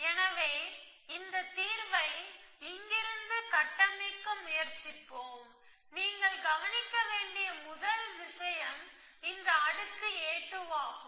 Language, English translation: Tamil, So, let us solve, try to construct this example from here, so the first thing you will observe is that in this layer a 2